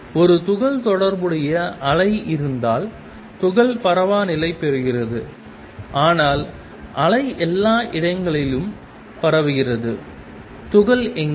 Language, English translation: Tamil, If there is a wave associated with a particle, particle is localized, but the wave is spread all over the place, where is the particle